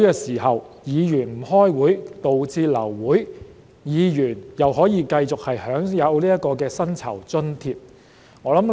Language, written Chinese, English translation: Cantonese, 為何議員不出席會議導致流會時仍可繼續享有薪酬和津貼呢？, Why are Members still entitled to remuneration and allowances when meetings are aborted due to their absence?